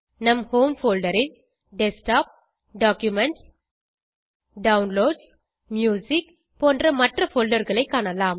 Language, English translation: Tamil, In our Home folder, we can see other folders such as Desktop, Documents, Downloads, Music,etc